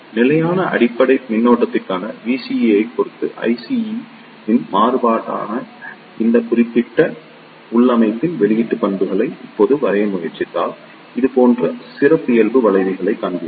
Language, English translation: Tamil, Now if you try to draw the output characteristics of this particular configuration that is the variation of I C with respect to V CE for the constant base current, then you will see the characteristic curves like this